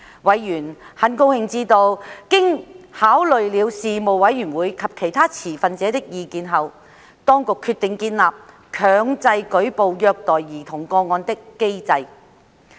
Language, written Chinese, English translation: Cantonese, 委員很高興知道，經考慮事務委員會及其他持份者的意見，當局決定建立強制舉報虐待兒童個案的機制。, Members were pleased to know that after considering views of the Panel and other stakeholders the Administration had decided to establish a mandatory reporting mechanism for child abuse cases